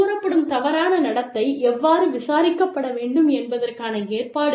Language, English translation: Tamil, Provisions for, how the alleged misconduct, should be investigated